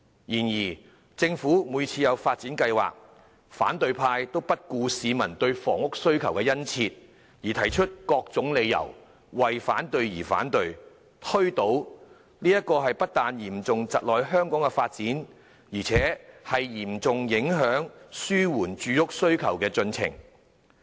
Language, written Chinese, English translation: Cantonese, 然而，政府每次提出發展計劃，反對派都不顧市民對房屋的殷切需求，以各種理由為反對而反對、推倒計劃，這不但嚴重窒礙了香港的發展，更嚴重影響紓緩住屋需求的進程。, But every time when the Government proposes a development plan the opposition will invariably come up with various excuses say no for the mere sake of saying no and seek to foil the plan regardless of peoples keen demand for housing . This has not only hindered Hong Kongs development but has also seriously impeded the progress of relieving the housing demand